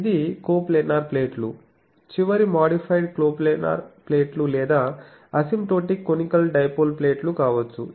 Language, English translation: Telugu, It can be coplanar plates, modified coplanar plates or asymptotic conical dipole plates